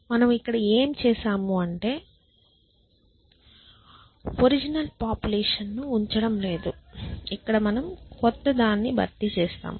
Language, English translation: Telugu, What we have done here is that we are not keeping the original population at all here we have said we just replace the new one